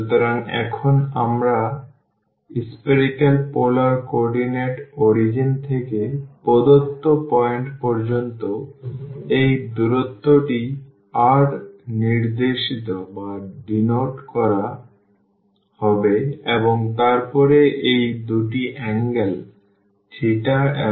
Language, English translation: Bengali, So now, in spherical polar coordinate this distance from the origin to this point to the given point will be denoted by r and then these two are the angles; these two are the angles theta and phi